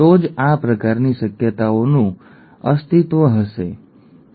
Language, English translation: Gujarati, Only then these kind of possibilities would exist, right